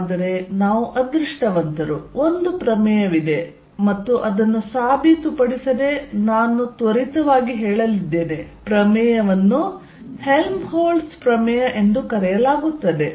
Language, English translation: Kannada, But, we are fortunate there is a theorem and I am going to say without proving it the theorem called Helmholtz's theorem